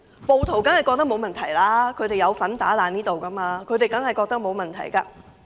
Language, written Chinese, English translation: Cantonese, 暴徒當然認為沒有問題，他們有份毀壞立法會大樓，當然認為沒有問題。, Rioters surely think that there is no problem . They have participated in wreaking havoc on the Legislative Council Complex and certainly think that there is no problem